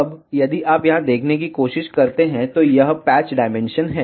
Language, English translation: Hindi, Now, if you try to see here, this is the patch dimension